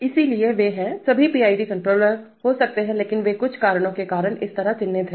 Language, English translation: Hindi, So they are, there may be all PID controllers but they are marked as such because of certain reasons